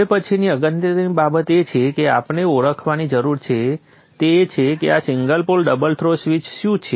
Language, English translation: Gujarati, The next important thing that we need to now identify is what is this single pole double throw switch